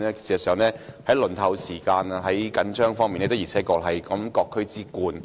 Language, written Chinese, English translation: Cantonese, 事實上，在輪候時間長和資源緊絀方面，九龍東的確是各區之冠。, As a matter of fact in terms of the long waiting time and the shortage of resources Kowloon East really ranks first among all the districts